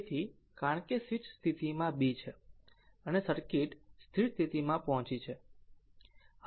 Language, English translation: Gujarati, So, because switch is in position b and the circuit reached the steady state